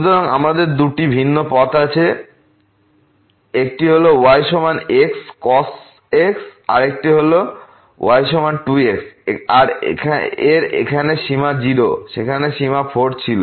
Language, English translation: Bengali, So, we have 2 different path one is is equal to another one is is equal to 2 here the limit is 0 there the limit was 4